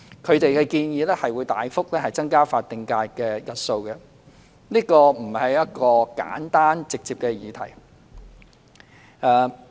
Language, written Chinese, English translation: Cantonese, 他們的建議，會大幅增加法定假日的日數，這並不是一個簡單直接的議題。, Their proposals will lead to a significant increase in the number of statutory holidays which is not a simple and direct issue